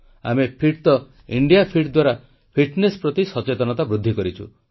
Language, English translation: Odia, Through 'Hum Fit toh India Fit', we enhanced awareness, towards fitness